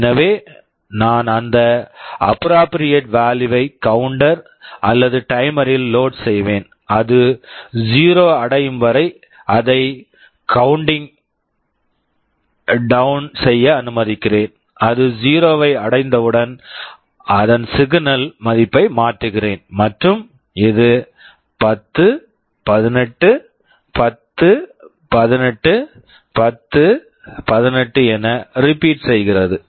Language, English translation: Tamil, So, I will be loading the counter or the timer with that appropriate value and let it go on counting down till it reaches 0, and as soon as it reaches 0, I change the value of the signal and this repeats 10, 18, 10, 18, 10, 18